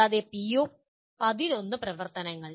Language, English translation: Malayalam, And PO11 activities